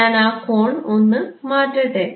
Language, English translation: Malayalam, Can I change that angle